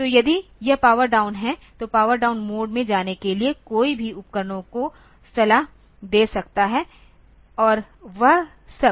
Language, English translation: Hindi, So, if it is power down may be it can it can advice many devices to go to power down mode and all that